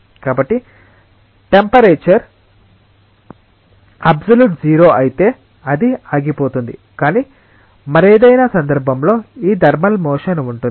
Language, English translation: Telugu, So, if the temperature is absolute zero it will go to a stop, but in any other case this thermal motion will be there